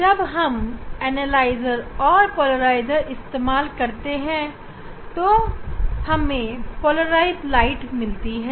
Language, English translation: Hindi, when you are using polarizer, analyzer we are telling that we are getting polarized light